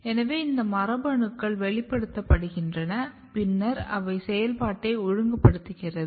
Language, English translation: Tamil, So, the these genes are getting expressed and then they are regulating the function